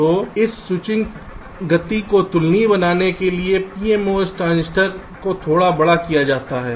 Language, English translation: Hindi, so to make this switching speed comparable, the p mos transistors are made slightly bigger